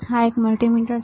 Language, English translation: Gujarati, This is also a multimeter all right